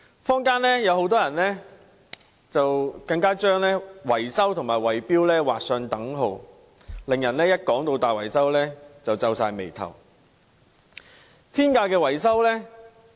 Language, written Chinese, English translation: Cantonese, 坊間很多人更將維修和圍標劃上等號，令人聽到大維修便皺眉頭。, Many members of the community even draw an equal sign between maintenance and bid - rigging making people frown on hearing building repairs and maintenance